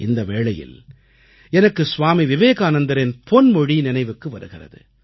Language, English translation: Tamil, On this occasion, I remember the words of Swami Vivekananda